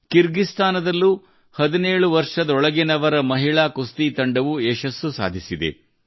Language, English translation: Kannada, One such similar success has been registered by our Under Seventeen Women Wrestling Team in Kyrgyzstan